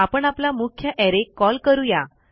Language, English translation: Marathi, Well call our main array